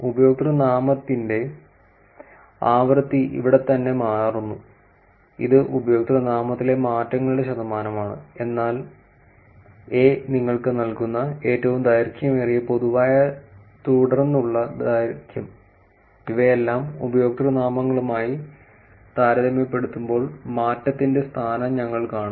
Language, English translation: Malayalam, And the frequency of username changes frequency of username changes here right, this is the percentage of username changes So, is giving you that, normalized longest common subsequence length, we'll see all of these, position of change relative to usernames